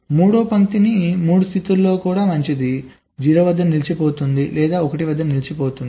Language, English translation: Telugu, third line can also be in three states, good, stuck at zero, stuck at one